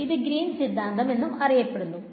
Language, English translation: Malayalam, It is also called Greens theorem ok